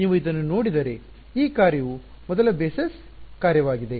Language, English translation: Kannada, So, this function if you look at this is the first basis function